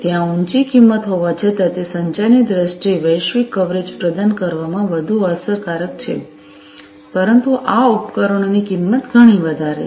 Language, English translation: Gujarati, So, there is higher cost although, you know, it is much more effective in providing global coverage in terms of communication, but the cost of these devices is much higher